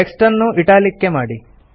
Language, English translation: Kannada, Make the text Italics